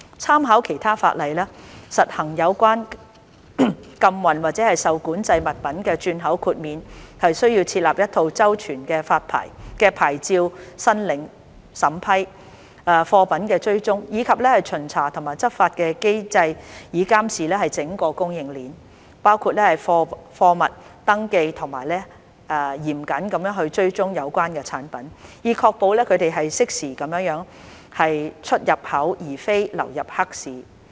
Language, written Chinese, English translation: Cantonese, 參考其他法例，實行有關禁運或受管制物品的轉口豁免需要設立一套周全的牌照申領審批、貨品追蹤，以及巡查和執法的機制以監視整個供應鏈，包括貨物登記及嚴謹地追蹤有關產品，以確保它們適時地出入口而非流入黑市。, By making reference to other legislation the exemption for re - exporting prohibited or controlled items requires an elaborate mechanism for approving licence applications and tracking of goods and also for inspection and enforcement in order to monitor the whole supply chain including registration and vigorous tracking of such goods to ensure that they are duly imported or exported instead of entering into the black market